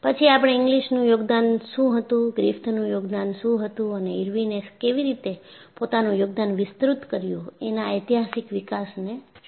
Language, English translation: Gujarati, Then, we looked at historical development of what was the contribution of Inglis, what was the contribution of Griffith and how Irwin extended it